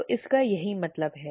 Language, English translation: Hindi, So that is what this means